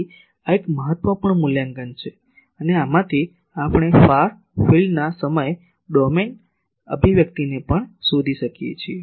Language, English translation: Gujarati, So, this is an important evaluation and from this we can also just find the time domain expression of the far field